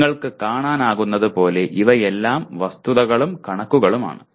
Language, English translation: Malayalam, As you can see these are all facts and figures